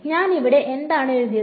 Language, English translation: Malayalam, So, what I have written over here